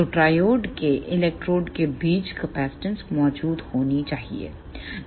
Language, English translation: Hindi, So, there must exist capacitance between the electrodes of the triode